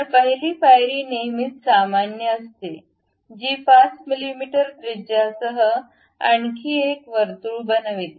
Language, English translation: Marathi, So, the first step is always normal to that construct one more circle matching with 5 mm radius